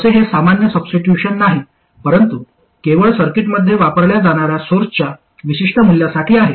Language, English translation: Marathi, By the way, this is not a general substitution, this is only for particular values of sources that are used in the circuit